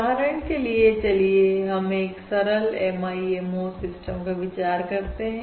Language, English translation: Hindi, However, we are now considering a MIMO channel